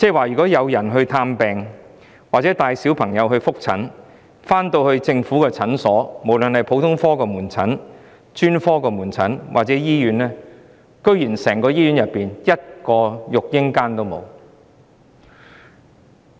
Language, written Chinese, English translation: Cantonese, 如果有人帶嬰兒到政府普通門診診所、專科門診診所或醫院求診，他們沒有一間育嬰室可用。, If people bring their babies to seek consultation at general outpatient clinics specialist outpatient clinics or hospitals there is no baby care room where they can breastfeed their babies